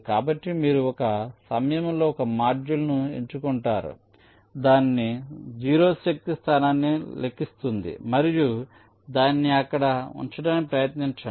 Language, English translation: Telugu, so you select one module at a time, computes its zero force location and try to place it there